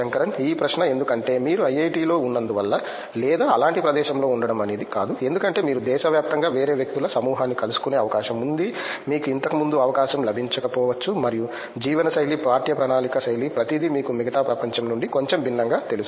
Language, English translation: Telugu, This question is because, not just because you are in IIT or something like that because you tend to meet a different set of people across the country which you might not have had an opportunity before, and also the kind of lifestyle, the kind of curriculum style, everything is you know quite slightly different from the rest of the world